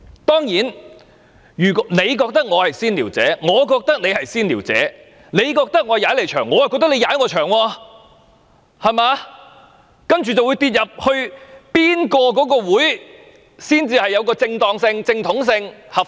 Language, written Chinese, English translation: Cantonese, 當然，你認為我是"先撩者"，我亦認為你是"先撩者"；你認為我"踩你場"，我亦認為你"踩我場"，然後便會爭辯哪一個法案委員會才是正統和合法。, Of course you think that I am the provoker but I think that you are the provoker . You consider that I am raiding your place but I consider that you are raiding my place . And then we will argue which Bills Committee is the formal and the legitimate one